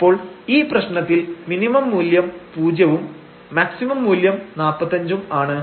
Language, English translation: Malayalam, So, we have the minimum value 0 and the maximum value of this problem is 35